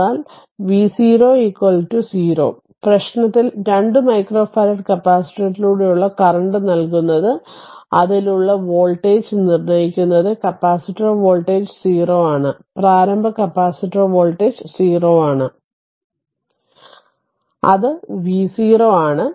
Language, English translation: Malayalam, But v 0 is equal to 0 in the problem it is given current through a 2 micro farad capacitor is the determine the voltage across it assume that capacitor voltage is 0 that is initial capacitor voltage is 0 that is v 0 equal to 0